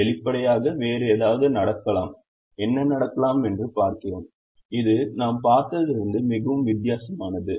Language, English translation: Tamil, obviously something else can happen and we see what can happen which is very different from what we have seen